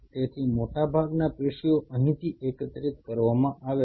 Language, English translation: Gujarati, So, most of the tissue is collected from here